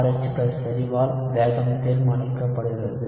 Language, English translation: Tamil, So you have the rate determined by concentration of RH+